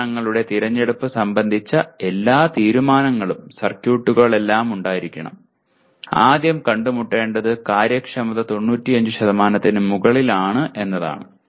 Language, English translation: Malayalam, All decisions regarding the choice of devices, circuits everything should be first thing to be met is the efficiency has to above 95%